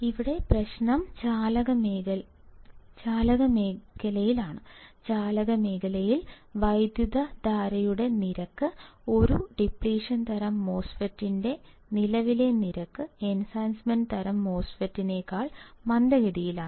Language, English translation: Malayalam, Here, the problem is in the conduction region; in the conduction region the rate of current, the current rate of a depletion type MOSFET; the current rate of an Depletion type MOSFET is slower than Enhancement type MOSFET